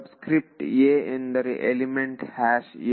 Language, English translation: Kannada, So, superscript a refers to element #a